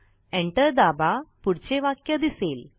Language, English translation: Marathi, Press Enter.The next sentence appears